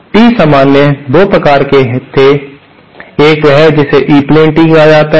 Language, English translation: Hindi, There were 2 common types of Tees, one is what is called as E plane Tee